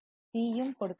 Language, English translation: Tamil, C is also given